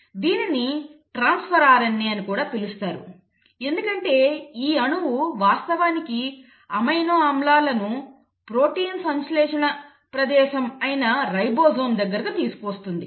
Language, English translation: Telugu, It is also called as transfer RNA because this molecule will actually bring in the amino acids to the ribosome, the site of protein synthesis